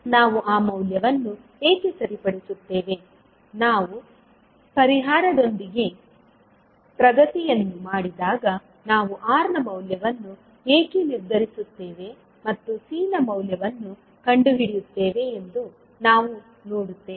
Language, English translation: Kannada, Why we will fix that value, we will see that when we will progress with the solution, that why we are fixing value of R and finding out value of C